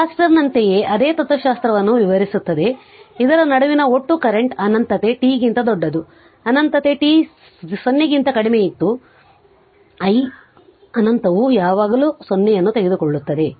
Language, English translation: Kannada, Like capacitor also we explain something same philosophy the total current for in between minus infinity t greater than minus infinity less than t 0 and i minus infinity is always take 0 right